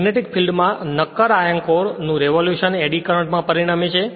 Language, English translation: Gujarati, The rotation of a solid iron core in the magnetic field results in eddy current right